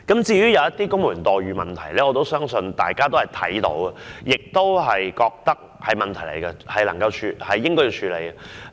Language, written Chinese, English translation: Cantonese, 至於公務員待遇的問題，我相信大家皆留意到，亦認為應該加以處理。, As for the issue concerning the employment terms of civil servants I believe Members should notice and agree that it should be dealt with more expeditiously